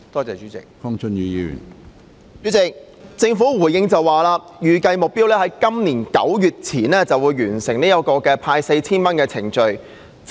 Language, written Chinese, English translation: Cantonese, 主席，局長的主體答覆表示，預計目標是今年9月底前完成派發 4,000 元的程序。, President the Secretarys main reply states that the estimated target is to complete the procedures for the disbursement of 4,000 by late September this year . The cash handout has been going on for almost half a year